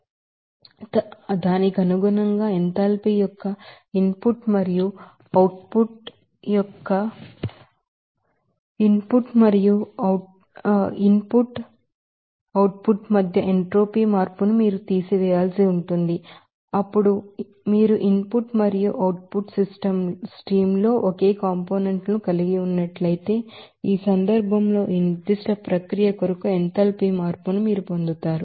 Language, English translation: Telugu, So, accordingly we can have this change of interpreted the input change of enthalpy and the output and what do we have entropy change between these input and output just simply you have to subtract it, then you will get that what the enthalpy change for this particular process in this case one interesting point that if you are having the same components in the input and output streams